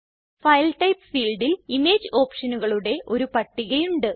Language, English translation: Malayalam, File Type field has a list of image options